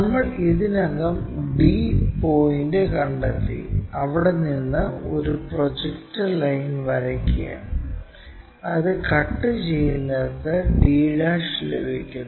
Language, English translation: Malayalam, We have already located d point, so draw a projector line which cuts that to indicates d'